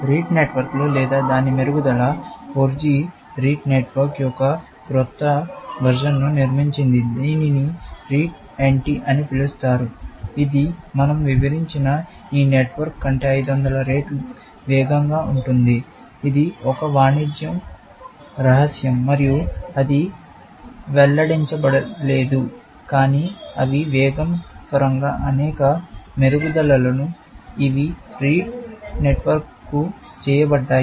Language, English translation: Telugu, Rete networks or its improvements; I also said that 4G created a newer version of Rete network, which is called Rete NT, which is 500 times faster than this network that we have just described, but unfortunately, we do not have descriptions of that network, because it is a trade secret, and it has not been revealed, but they have been several improvements, in terms of speed, that have been made to the Rete network